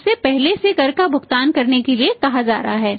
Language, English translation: Hindi, He is being asked to pay the tax in advance